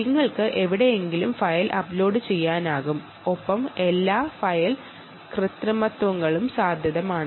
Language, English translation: Malayalam, you can um, you can do, you can upload the file somewhere and you know all file manipulations are possible